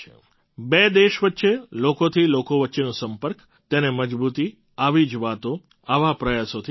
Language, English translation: Gujarati, The people to people strength between two countries gets a boost with such initiatives and efforts